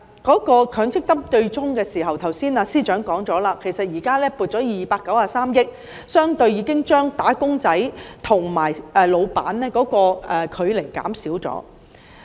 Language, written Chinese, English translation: Cantonese, 至於強積金對沖機制，正如司長剛才所說，現時已撥出293億元，相對地已經將"打工仔"和僱主的距離縮短。, As regards the offsetting mechanism under MPF as the Chief Secretary for Administration said just now at present 29.3 billion has been set aside and the differences between wage earners and employers have been narrowed relatively